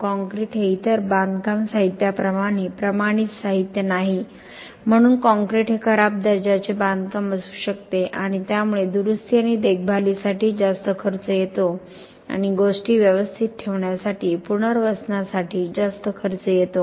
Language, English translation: Marathi, Concrete is not a standardized material like other construction materials are so therefore concrete could be a bad quality construction could be a bad quality this could lead to high cost for repair and maintenance for rehabilitation for setting things right